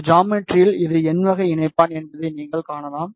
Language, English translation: Tamil, You can see in this geometry this is n type of connector